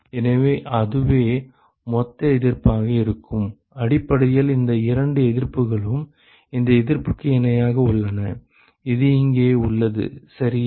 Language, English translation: Tamil, So, that will be the total resistance essentially these two resistances are in parallel with this resistance, which is present here ok